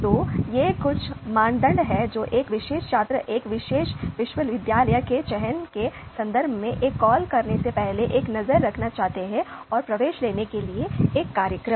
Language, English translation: Hindi, So, these are some of the criteria which a particular student would like to take a look before making a call in terms of selecting a particular university and a program for taking admission